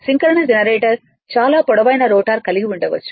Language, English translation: Telugu, Synchronous generator may have a very long rotor right